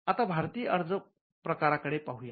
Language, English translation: Marathi, Now, let us look at an Indian application